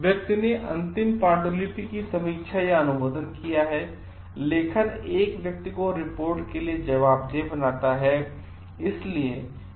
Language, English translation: Hindi, The person has reviewed or approved the final manuscript; authorship makes a person accountable for the report